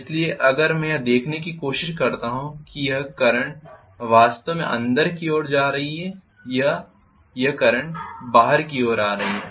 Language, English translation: Hindi, So if I try to look at this this current is actually going inward and this current is going outward